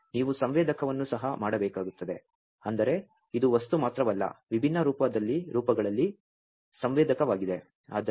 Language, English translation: Kannada, Now, you will have to make the sensor as well I mean this is not only the material, but sensor in different forms